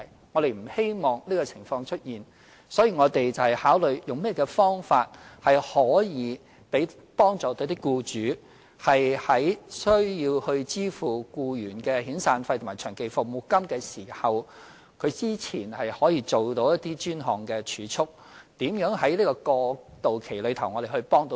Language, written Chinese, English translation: Cantonese, 我們不希望出現這些情況，所以我們要考慮如何幫助僱主，以便他們在需要支付僱員的遣散費和長期服務金時，可動用之前所做的一些專項儲蓄來應付，我們也要考慮如何在過渡期幫助他們。, We do not wish to see this happen and so we have to consider how best we can help the employers so that when they need to make the severance and long service payments to their employees they can meet these payments with the savings kept previously for these specific purposes and we also have to consider ways to assist them during the transitional period